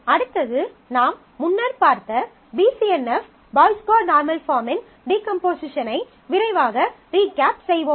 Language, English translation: Tamil, Next is the we will quickly recap on the decomposition of BCNF Boyce Codd normal form which we had seen earlier